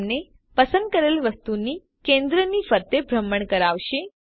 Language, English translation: Gujarati, This enables you to orbit around the center of the selected object